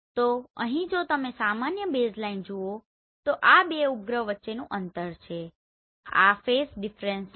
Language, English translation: Gujarati, So here if you see normal baseline that is the distance between these two satellites right and this is the phase difference